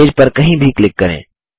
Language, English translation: Hindi, Click anywhere on the page